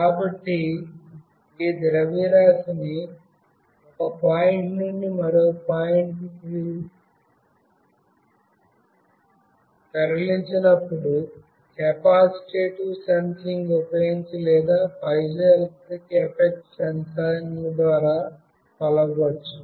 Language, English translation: Telugu, So, the displacement of this mass when it is moved from one point to another, can be measured using either capacitive sensing or through piezoelectric effect sensing